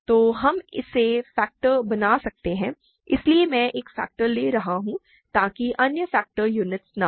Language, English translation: Hindi, So, we can factor it; so, I am taking one of the factors so that the other factors are not units